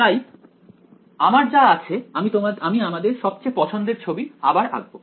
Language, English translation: Bengali, So, what we have I am going to a draw our favourite diagram once again right